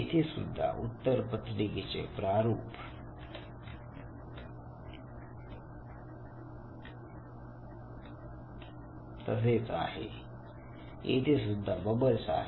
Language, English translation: Marathi, Once again the response format is same, the same bubbles here